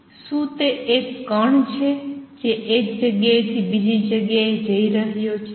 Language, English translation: Gujarati, Is it a particle moving from one place to the other